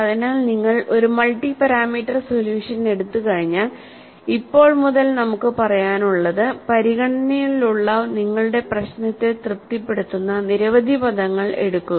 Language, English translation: Malayalam, So, once you take up a multi parameter solution, from now on we will have to say, take as many terms that would satisfy your problem under consideration